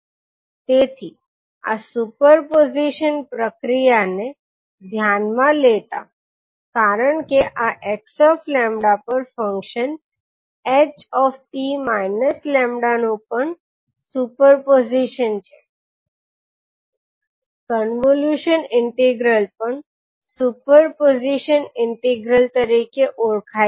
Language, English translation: Gujarati, So in view of this the super position procedure because this also super position of function h t minus lambda over x lambda, the convolution integral is also known as the super position integral